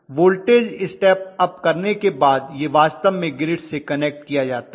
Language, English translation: Hindi, After stepping up it is actually connected to the grid